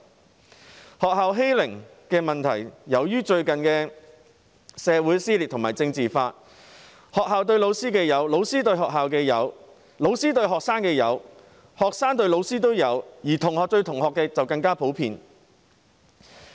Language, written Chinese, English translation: Cantonese, 關於學校的欺凌問題，由於最近的社會撕裂和政治化，不論學校對老師、老師對學校、老師對學生以至學生對老師的欺凌情況都有出現，而同學對同學的欺凌就更為普遍。, As far as school bullying is concerned we have seen due to the recent social dissension and politicization the school bullying teachers teachers bullying the school teachers bullying students and students bullying teachers . And the phenomenon of students bullying other students is even more common